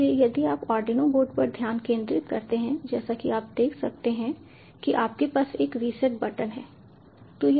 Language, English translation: Hindi, so, ah, if you focus on the arduino board, as you can see, you have a reset button, so it has already entered into the loop